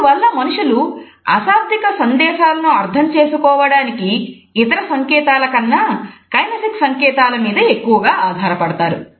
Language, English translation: Telugu, Consequently, we find that people rely more on kinesic cues than any other code to understand meanings of nonverbal messages